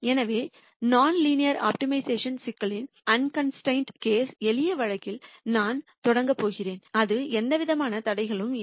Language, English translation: Tamil, So, I am going to start with the simple case of a non linear optimization problem unconstrained case that is there are no constraints